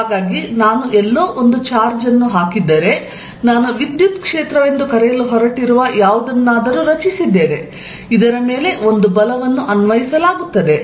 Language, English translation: Kannada, It creates a lot of lines around it, so that if I put a charge somewhere, because of this whatever I have created which I am going to call the electric field, a force is applied on this